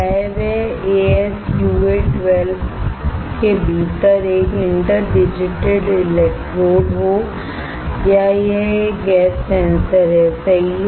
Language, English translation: Hindi, Whether it is an interdigitated electrodes within ASUA12 well or whether it is a gas sensor right